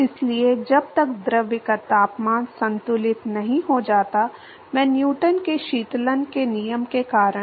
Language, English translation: Hindi, So, until the fluid temperature equilibrates, I because of Newton’s law of cooling